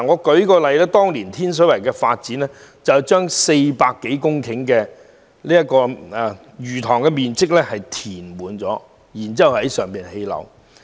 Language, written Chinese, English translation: Cantonese, 舉例來說，當年發展天水圍時，有面積達400多公頃的魚塘被填平，然後在上興建樓宇。, For example when Tin Shui Wai was identified for development back then fishponds with an area of more than 400 hectares were filled up to create land for housing construction